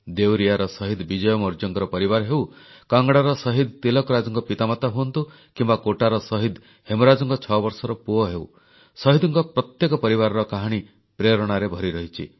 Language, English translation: Odia, Whether it be the family of Martyr Vijay Maurya of Devariya, the parents of Martyr Tilakraj of Kangra or the six year old son of Martyr Hemraj of Kota the story of every family of martyrs is full of inspiration